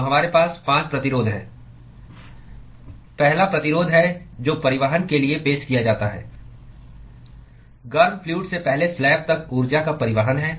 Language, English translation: Hindi, So, we have 5 resistances, the first one being the resistance offered for transport from a transport of energy from the hot fluid to the first slab